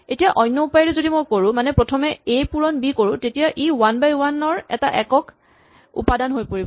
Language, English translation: Assamese, Now if I do it the other way, if I take A times B first then this whole thing collapses into a 1 by 1 single entry